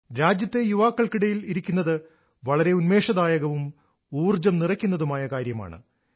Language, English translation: Malayalam, To be amongst the youth of the country is extremely refreshing and energizing